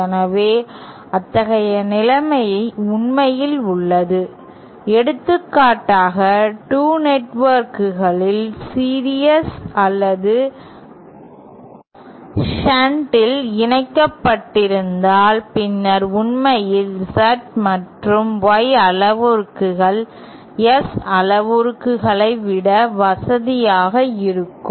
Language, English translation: Tamil, So, such a situation actually exists, for example, if 2 networks are connected in series or in shunt, then actually, we just discussed it that Z and Y parameters might actually be more convenient than S parameters